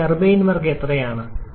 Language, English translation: Malayalam, And how much is your turbine work